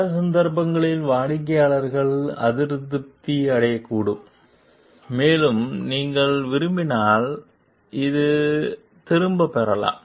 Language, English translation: Tamil, In many cases the customers may become dissatisfied and if you are like them, it may they may withdraw